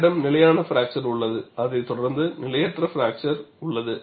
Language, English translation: Tamil, You have a stable fracture, followed by unstable fracture